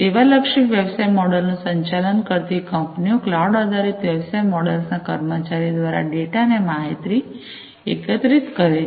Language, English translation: Gujarati, Companies operating a service oriented business model employee cloud based business models to gather data and information